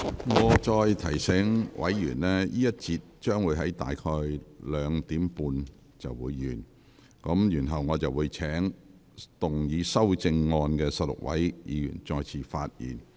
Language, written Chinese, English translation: Cantonese, 我再次提醒委員，這個環節的辯論將於下午2時30分左右結束，然後我會請動議修正案的16位議員再次發言。, Let me remind Members again that the debate in this session will come to a close at around 2col30 pm . Then I will call upon the 16 Members who have proposed amendments to speak again